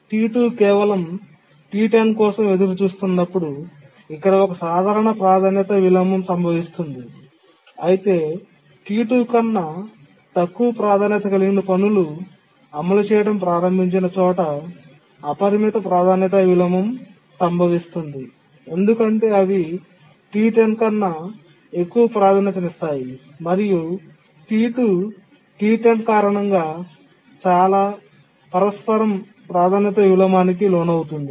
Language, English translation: Telugu, Here a simple priority inversion occurs when T2 is simply waiting for T10, but then the unbounded priority inversion occurs where tasks which are of lower priority than T2, they start executing because they are higher priority than T10 and T2 undergoes many priority inversion, one due to T10 initially, then later due to T5, T3, T7, etc